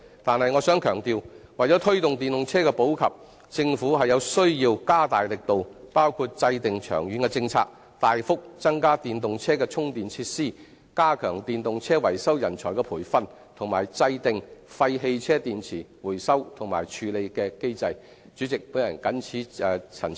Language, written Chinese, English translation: Cantonese, 但是，我想強調，為推動電動車的普及，政府有需要加大力度，包括制訂長遠政策、大幅增加電動車的充電設施、加強電動車維修人才的培訓及制訂廢汽車電池回收和處理的機制。, But I would like to emphasize that in order to promote the popularization of electric vehicles the Government need to put in extra efforts in areas like drawing up a long - term policy providing much more charging facilities for electric vehicles stepping up the training of maintenance and repair personnel for electric vehicles and formulating a mechanism on the recycling and handling of waste car batteries